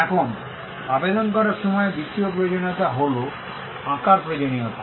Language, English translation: Bengali, Now, the second requirement while filing an application is the requirement of drawings